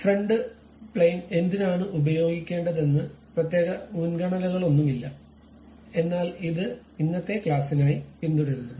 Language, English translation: Malayalam, There is no particular preference why front plane we have to use ah, but this is a custom what we are following for today's class